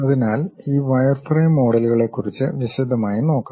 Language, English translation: Malayalam, So, let us look in detail about this wireframe models